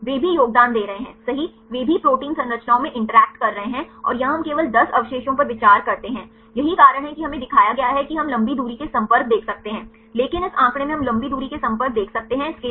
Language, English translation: Hindi, They are also contributing right, they are also interacting in protein structures right, and here we consider only 10 residues, this is why we will shown we could see the long range contacts, but in this figure right, we can see the long range contacts for this